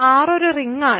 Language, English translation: Malayalam, R is a ring